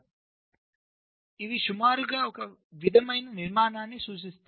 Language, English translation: Telugu, so they approximately represent a similar structure